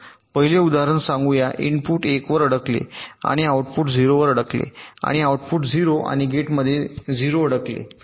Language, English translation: Marathi, let the first example says the input stuck at one and output stuck at zero